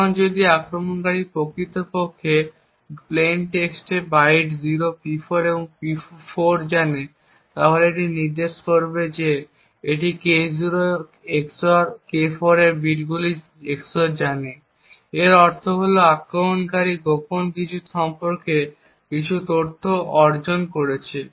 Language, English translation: Bengali, Now if the attacker actually knows the plain text bytes P0 and P4 it would indicate that he knows the XOR of the key bits K0 XOR K4